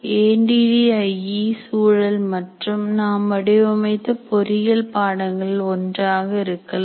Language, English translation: Tamil, Now our context will be, ADE context will be one of the engineering courses that we design